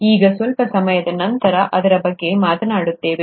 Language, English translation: Kannada, We’ll talk about that a little later from now